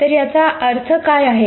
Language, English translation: Marathi, So what does this mean